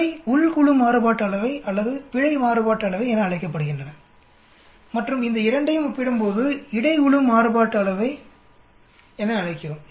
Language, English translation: Tamil, These are called within group variance or error variance and when we compare these two we call between group variance